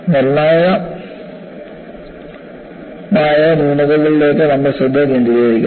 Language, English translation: Malayalam, And we would focus our attention on the flaw which is critical